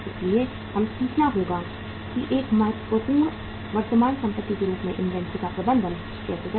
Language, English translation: Hindi, So we will have to learn how to manage the inventory as a important current asset